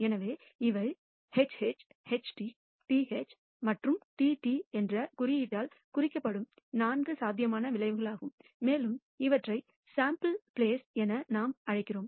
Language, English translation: Tamil, So, these are the four possible outcomes denoted by the symbol HH, HT, TH and TT and that constitutes what we call the sample space